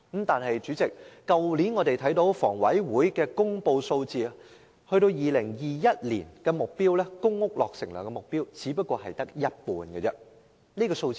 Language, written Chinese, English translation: Cantonese, 但是，主席，香港房屋委員會去年公布2021年的公屋落成量目標只是這數字的一半。, But President as announced by the Hong Kong Housing Authority last year the public housing supply target for 2021 is merely half of this quantity